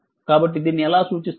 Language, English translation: Telugu, So how we will represent this one